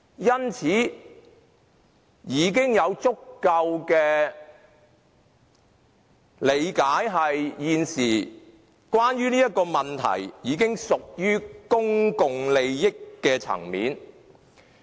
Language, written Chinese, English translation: Cantonese, 因此，我們已經有足夠的理解，認為現時這個問題已經屬於公共利益的層面。, Hence we should now fully understand that the matter has already come to involve public interests